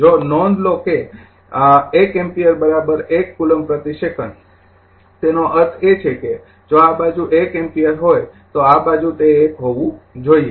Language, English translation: Gujarati, If note that 1 ampere is equal to 1 coulomb per second; that means, if this side is 1 ampere this side it has to be 1